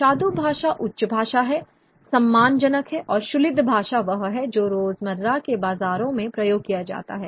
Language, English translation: Hindi, Shadu Basha is the high language, the respectable language, and Cholid Bhaha is that which is used in the everyday in the bazaars